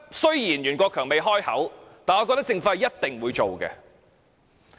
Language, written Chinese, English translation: Cantonese, 雖然袁國強司長未開口，但我覺得政府一定會上訴。, Although Secretary Rimsky YUEN has not yet announced so I believe the Government will definitely lodge an appeal